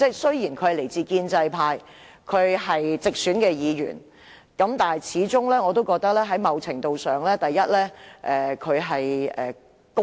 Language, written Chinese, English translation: Cantonese, 雖然他是來自建制派的直選議員，但我始終覺得他某程度上較為公道。, Although he was a directly - elected Member from the pro - establishment camp I always think that he was to a certain extent rather fair